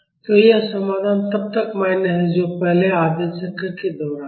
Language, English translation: Hindi, So, this solution is valid until then, that is during the first half cycle